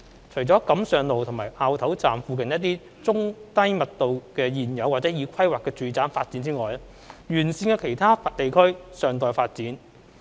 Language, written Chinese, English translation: Cantonese, 除了錦上路和凹頭站附近的一些中低密度的現有或已規劃的住宅發展外，沿線的其他地區尚待發展。, Except a few low - to - medium density existingplanned residential developments in the vicinity of Kam Sheung Road Station and Au Tau Station the areas along the alignment are yet to be developed